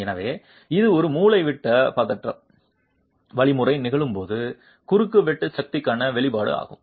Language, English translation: Tamil, So, this is the expression for ultimate shear force when a diagonal tension mechanism is occurring